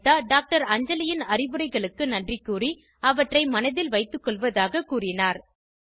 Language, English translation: Tamil, Anita thanks Dr Anjali for her advice and says she will keep them in mind